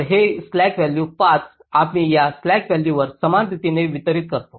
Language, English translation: Marathi, so this slack value of five you try to distribute among these vertices along the path